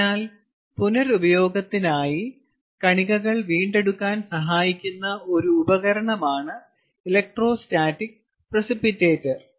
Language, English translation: Malayalam, so the electrostatic precipitator can be a device which can help recover the seed for reuse